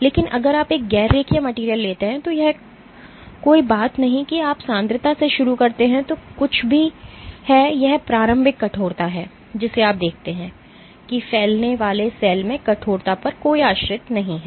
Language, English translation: Hindi, But if you take a non linear material no matter what concentration you start from whatever is this initial stiffness you see that the cell spreading does not have any dependents on stiffness